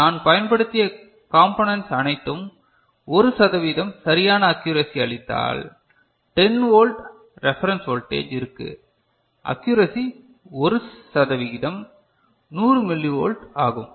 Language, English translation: Tamil, And if the components that I have used and all gives an accuracy of 1 percent right, for 10 volt reference voltage, accuracy is 1 percent, is 100 millivolt